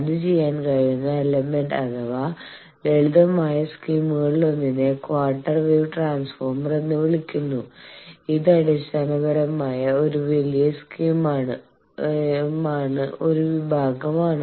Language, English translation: Malayalam, The element by which that is done can be done, one of the simple schemes is called Quarter Wave Transformer it is basically a section of a larger scheme